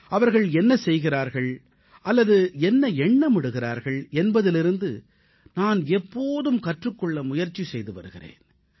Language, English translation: Tamil, I try to learn from whatever they are doing or whatever they are thinking